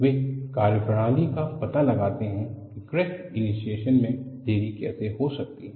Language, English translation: Hindi, They find out methodologies, how the crack initiation can be delayed